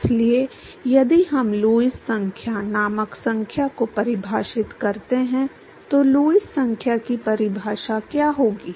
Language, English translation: Hindi, So, if we define a number called Lewis number what would be the definition for Lewis number